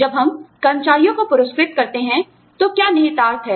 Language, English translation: Hindi, What are the implications, when we reward employees